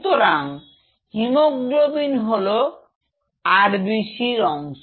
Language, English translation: Bengali, So, hemoglobin is the key part of the RBC’s